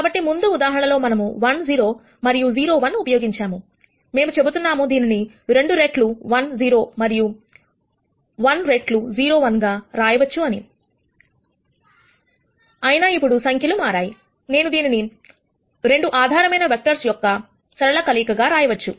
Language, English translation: Telugu, So, in the previous case when we use 1 0 on 0 1, we said this can be written as 2 times 1 0 plus 1 times 0 1; however, the numbers have changed now, nonetheless I can write this as a linear combination of these 2 basis vectors